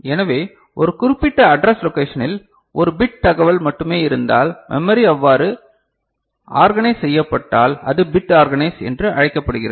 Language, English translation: Tamil, So, in a particular location, address location if only one bit information is there; if that is the way memory is organized then it is called bit organized